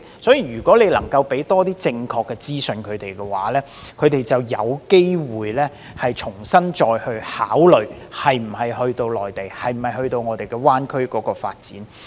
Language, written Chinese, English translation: Cantonese, 因此，如果政府能夠多向他們提供正確資訊，他們便有機會重新考慮是否前往內地或灣區發展。, In particular as young people in Hong Kong do not know much about the development of the Mainland if the Government can provide them with more accurate information they may reconsider developing their career in the Mainland or GBA